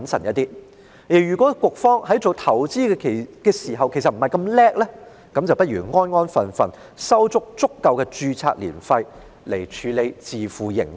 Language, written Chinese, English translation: Cantonese, 局方如果不是那麼擅長投資，便不如安份守己，收取十足的註冊年費，以便能自負盈虧。, If MPFA is not so good at investment it should know its place and simply collect sufficient ARF in order to operate on a self - financing basis